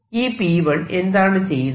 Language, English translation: Malayalam, what would this p one do